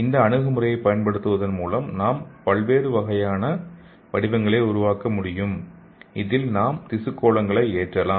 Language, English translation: Tamil, So using this approach we can make this kind of shapes and in this we can load the tissue spheroids